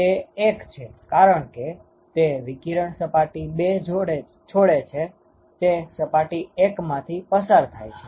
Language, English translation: Gujarati, It is it is 1 because whatever radiation that leaves surface 2, it has to be seen by surface 1